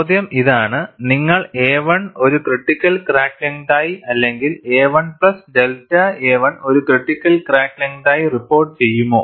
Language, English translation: Malayalam, The question is, would you report a 1 as a critical crack length or a 1 plus delta a 1 as a critical crack length